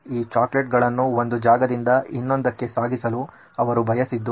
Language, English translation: Kannada, They wanted to transport this chocolates from one geography to another